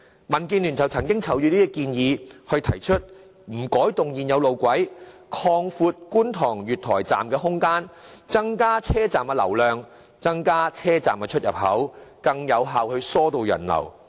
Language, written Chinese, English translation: Cantonese, 民建聯曾就這方面提出在不改動現有路軌的原則下擴闊觀塘站月台空間的建議，以增加車站流量，並增加車站出入口，以更有效疏導人流。, DAB proposed to expand the platform area of Kwun Tong MTR Station to make room for the increase in traffic flow while increasing the number of station exits to enhance the pedestrian circulation effectively without altering the existing railway tracks